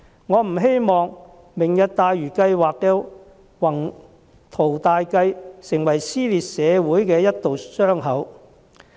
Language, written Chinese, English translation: Cantonese, 我不希望"明日大嶼"計劃的宏圖大計在社會撕裂出一道傷口。, I hope that the grand Lantau Tomorrow plan will not tear the community apart